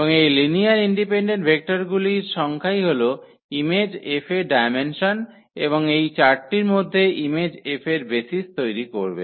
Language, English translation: Bengali, And the number of those linearly independent vectors will be the dimension of the image F and those linearly independent vectors among all these 4 will form basis of the image F